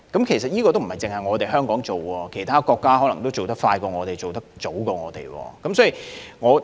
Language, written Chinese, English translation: Cantonese, 其實，這不僅是香港的做法，其他國家可能做得比我們更快更早。, Actually such arrangements are not exclusive to Hong Kong . Other countries may have put in place similar arrangements more expeditiously and earlier than we do